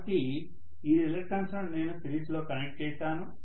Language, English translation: Telugu, So I have all these reluctances connected in series